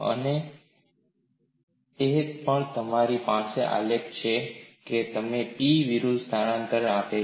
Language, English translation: Gujarati, And also, you have the graph which gives you P versus displacement